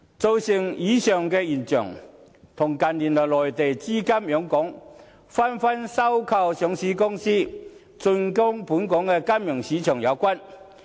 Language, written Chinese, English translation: Cantonese, 造成以上現象，跟近年內地資金湧港，紛紛收購上市公司，進軍本港金融市場有關。, The above phenomenon has something to do with the influx of Mainland capitals into Hong Kongs financial markets for the acquisition of listed companies this year